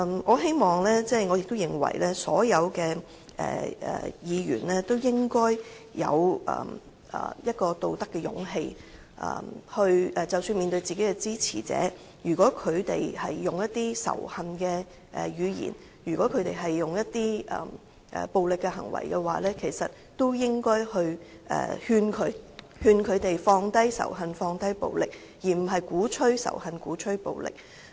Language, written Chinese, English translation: Cantonese, 我希望亦認為所有議員都應有道德勇氣，即使面對的是自己的支持者，但如果他們使用充滿仇恨的語言及作出暴力行為，也應勸諭他們放低仇恨和暴力，而不應鼓吹仇恨和暴力。, I hope and consider that all Members should have moral courage . Even if they are facing their own supporters if these supporters use words that are full of hatred and take violent actions they should advise them to set aside hatred and violence rather than advocating such